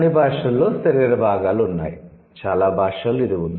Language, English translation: Telugu, All languages have body parts, most languages have this